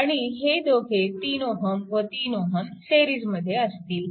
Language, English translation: Marathi, And this 3 ohm and this 3 ohm is in series